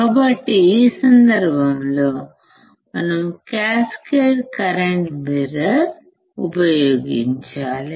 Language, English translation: Telugu, So, what can we do, we can use cascaded current mirror